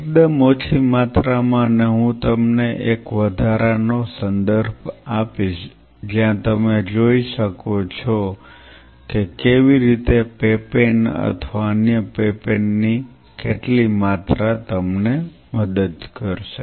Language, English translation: Gujarati, At a fairly low dose and I will give you an additional reference where you can look that how papain or other what dose of a papain will help you